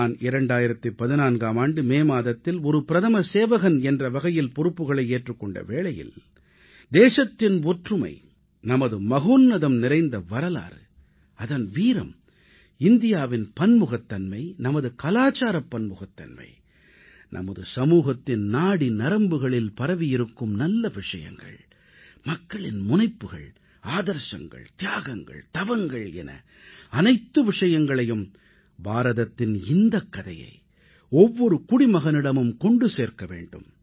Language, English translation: Tamil, And in 2014, when I took charge as the Pradhan Sevak, Principal Servant, it was my wish to reach out to the masses with the glorious saga of our country's unity, her grand history, her valour, India's diversity, our cultural diversity, virtues embedded in our society such as Purusharth, Tapasya, Passion & sacrifice; in a nutshell, the great story of India